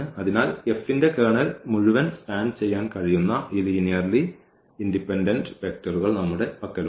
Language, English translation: Malayalam, So, we have this linearly independent vector which can span the whole Kernel of F